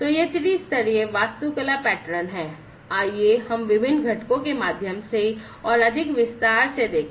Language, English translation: Hindi, So, this three tier architecture pattern let us go through the different components, in further more detail